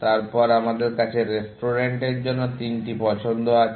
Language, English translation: Bengali, Then, we have the three choices for the restaurant